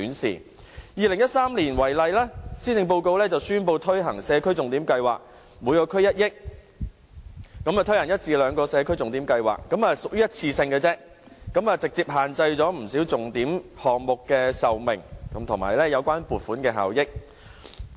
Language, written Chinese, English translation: Cantonese, 以2013年為例，施政報告宣布推行社區重點計劃，每區預留1億元，推行一至兩個社區重點計劃，但由於只屬一次性質，直接限制了不少重點項目的壽命，以及有關撥款的效益。, In the 2013 Policy Address for example the Signature Project Scheme was announced and 100 million was earmarked for each DC for the implementation of one or two projects but it was just a one - off exercise and would greatly confine what the DCs could do limiting the duration and effectiveness of the project